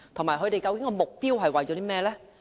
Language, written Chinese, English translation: Cantonese, 此外，計劃的目標是甚麼呢？, Besides what is the objective of the project?